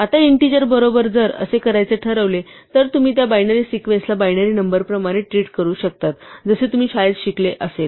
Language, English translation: Marathi, Now, if this happens to be an integer you can just treat that binary sequence as a binary number as you would have learnt in school